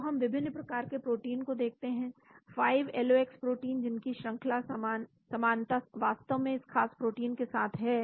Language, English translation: Hindi, So we can look at various proteins, 5LOX proteins which have sequence similarity of this particular protein actually